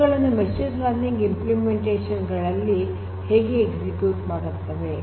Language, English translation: Kannada, So, how do you execute these in for machine learning implementations